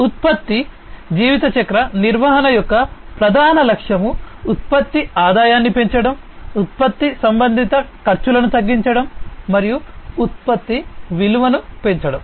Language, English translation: Telugu, So, the main goal of product lifecycle management is to maximize the product revenues, to decrease the product associated costs, and to increase the products value